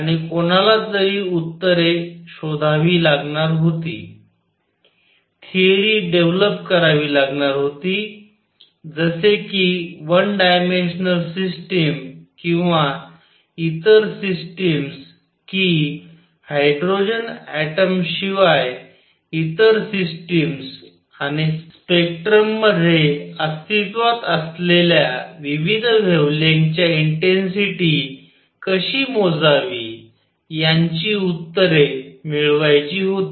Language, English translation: Marathi, And one had to find answers one had to develop a theory as to how how to get the answers of say one dimensional systems or other system systems other than hydrogen atom, and all also how to calculate intensities of various wavelengths that exist in a spectrum